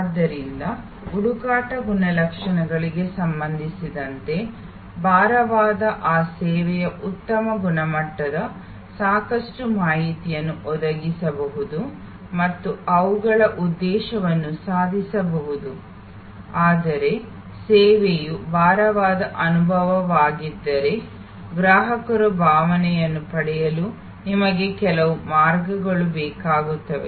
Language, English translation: Kannada, So, those services which are heavy with respect to search attributes can provide good high quality, enough information and achieve their objective, but if the service is experience heavy, then you need some way the customer to get a feel